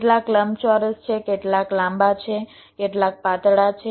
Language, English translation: Gujarati, some are rectangular, some are long, some are thin